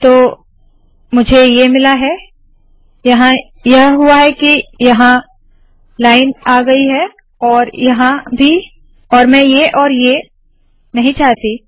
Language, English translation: Hindi, So Ive got this, what happens is this line comes here and as well as here and I dont want this and this